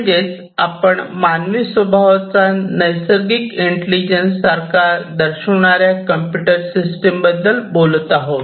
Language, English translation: Marathi, So, we are talking about computer systems exhibiting some form of intelligence which is very similar to the natural intelligence of human beings, right